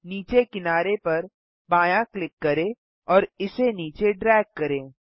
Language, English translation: Hindi, Left click the left edge and drag it to the left